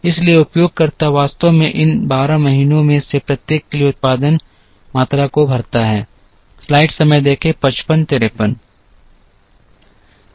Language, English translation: Hindi, So, the user actually fills the production quantities for each of these 12 months